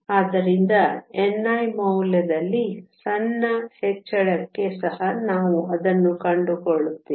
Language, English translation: Kannada, So, we find it even for a small increase in the value of n i